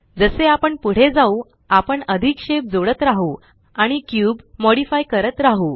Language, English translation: Marathi, We can keep adding more shape keys and modifying the cube as we go